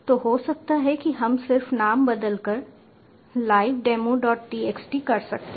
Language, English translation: Hindi, so maybe we can just change the name to live demo, dot txt